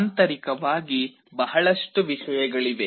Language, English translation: Kannada, Internally there are a lot of things